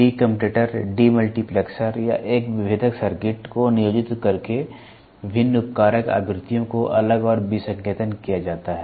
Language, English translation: Hindi, The various subcarrier frequencies are segregated and decoded by employing a de commutator, de multiplexer or a discriminating circuit